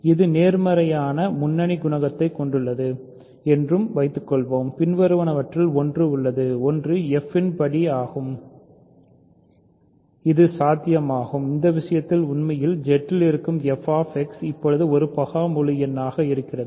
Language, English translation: Tamil, So, suppose also that it has positive leading coefficient then one of the following holds, one is degree of f is 0 this is possible in which case f X which is actually in Z now is a prime integer